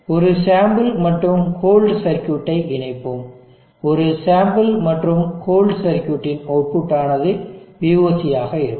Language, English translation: Tamil, Let us connected to a sample and whole circuit the output of a sample and whole circuit will be VOC